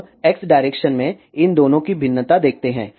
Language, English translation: Hindi, Now, let us see the variation of these two in X direction